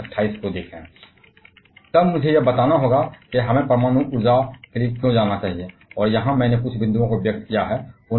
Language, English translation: Hindi, Then I have to justify why should we go for nuclear power, and here I have jotted out a few points